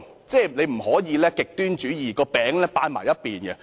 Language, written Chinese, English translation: Cantonese, 政府不能行極端主義，只把"餅"側重於一邊。, The Government must not practise extremism and tilt the pie towards one side